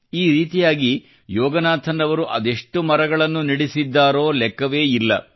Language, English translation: Kannada, In this way, Yoganathanji has got planted of innumerable trees